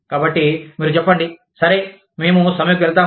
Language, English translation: Telugu, So, you say, okay, we will go on strike